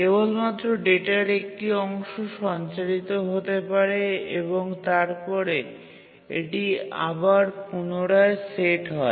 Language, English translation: Bengali, Only a part of the data would be transmitted and it resets